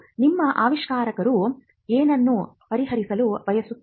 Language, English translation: Kannada, What does the your invention seek to address